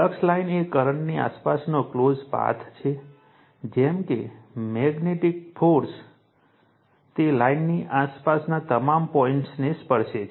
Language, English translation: Gujarati, A line of flux is a closed path around the current such that the magnetic force is tangential to it is all point around the line